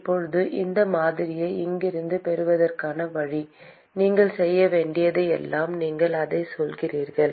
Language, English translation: Tamil, Now the way to get this model from here is all you have to do is you say that